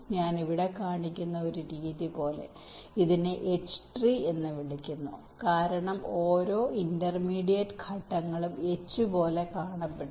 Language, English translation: Malayalam, like one method i am showing here this is called h tree because you see every intermediate steps look like a h, so the clock generated is the middle